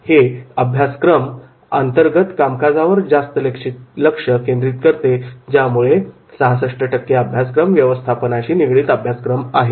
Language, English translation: Marathi, These courses focus on internal activities and therefore 66% of all courses and they go for the management courses